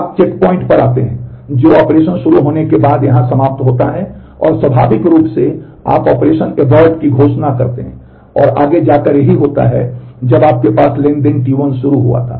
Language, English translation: Hindi, You come to the check point which is the end here in terms of the operation begin and naturally you declare operation abort and going back further this is what you had when transaction T 1 had started